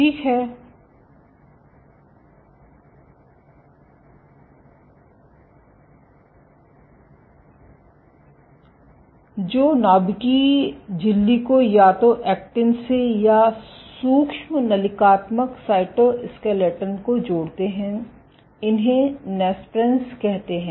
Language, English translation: Hindi, Which connect the nuclear membrane to either the actin or the microtubule cytoskeletons are called Nesprins